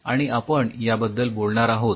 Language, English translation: Marathi, we would talk about it